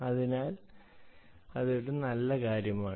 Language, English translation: Malayalam, so thats a good thing